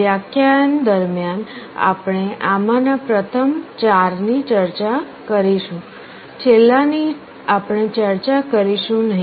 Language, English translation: Gujarati, During the lectures we shall be discussing the first four of these, the last one we shall not be discussing